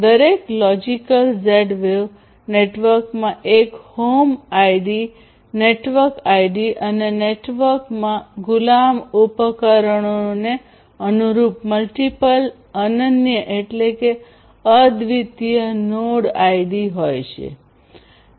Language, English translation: Gujarati, Each logical Z wave network has one home ID, the network ID, and multiple unique node IDs corresponding to the slave devices in the network